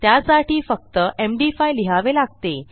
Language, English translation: Marathi, You just need have an MD5 function here